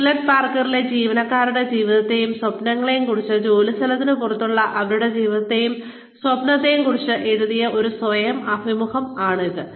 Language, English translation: Malayalam, It is a written self interview, regarding the life and dreams of, the employees of Hewlett Packard, regarding their life and dreams, outside of the workplace